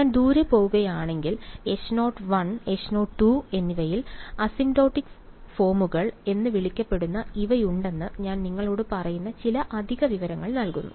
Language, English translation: Malayalam, If I go far away, I am giving you some extra information I am telling you that H naught 1 and H naught 2, they have these what are called asymptotic forms